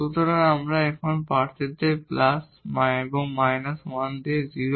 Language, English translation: Bengali, So, we have the candidates now the plus and the minus 1 with the 0